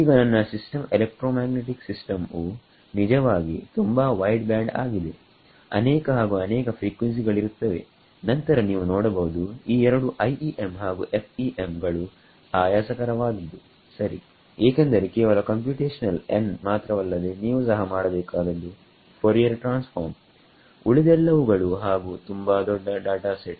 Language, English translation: Kannada, Now, if my system electromagnetic system actually is very wideband lots and lots of frequencies are there then you can see that this both IEM and FEM will become very tedious right because not just you have to do computational n you also have to do then Fourier transforms and all and over very large data sets